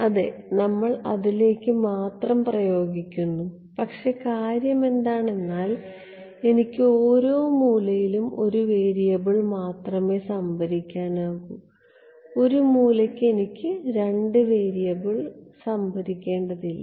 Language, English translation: Malayalam, We are applying only to yeah, but the point is that I want to store for every edge only one variable I do not want to store two variables for an edge